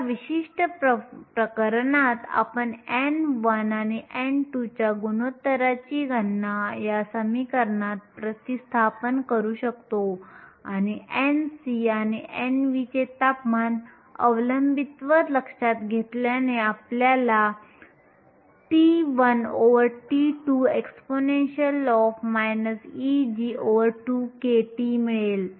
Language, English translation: Marathi, In this particular case, you can calculate the ratio of n 1 and n 2 by substituting them in this equation and also taking the temperature dependence of n c and n v into account will give you t 1 over t 2 exponential minus e g 2 k